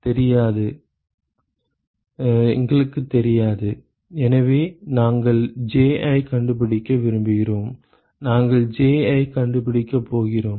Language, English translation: Tamil, We do not know so we want to find out Ji, we are going to find Ji